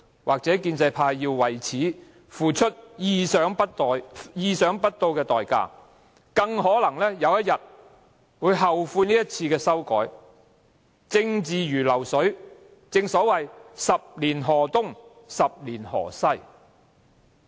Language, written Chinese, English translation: Cantonese, 或許建制派要為此付出意想不到的代價，更可能有一天後悔這一次的修改，政治如流水，正所謂十年河東、十年河西。, The pro - establishment camp may have to pay an unexpected cost for this attack . It may even regret making this amendment someday . Politics is like a flowing river it may flow to different places at different times